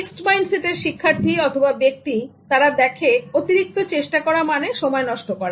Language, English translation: Bengali, Students or people with fixed mindset, so they will see extra efforts as waste of time